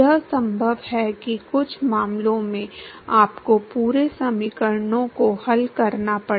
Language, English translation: Hindi, It is possible that in some cases you will have to solve the full equations